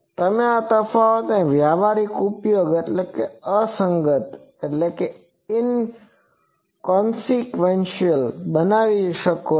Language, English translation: Gujarati, You can make these differences inconsequential to the practical applications